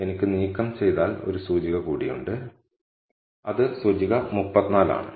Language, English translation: Malayalam, So, I also have one more index to remove, which is index 34